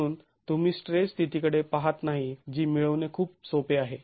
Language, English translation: Marathi, So, you are not looking at a state of stress that is very easy to capture